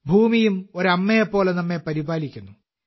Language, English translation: Malayalam, The Earth also takes care of us like a mother